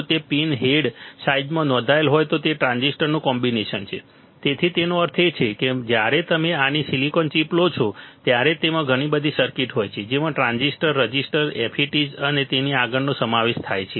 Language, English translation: Gujarati, It has combination of transistors if it is registered in a pin head size, so that means, that when you take a small [sink/silicon] silicon chip, it has lot of circuits that can include transistors, resistors, FETs right and so on and so forth